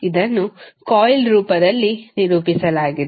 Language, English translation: Kannada, This is represented in the form of coil